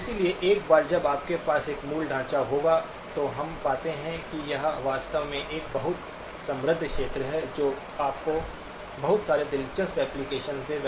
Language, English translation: Hindi, So once you have this basic framework, then we find that this is actually a very rich area which will give you lots of interesting applications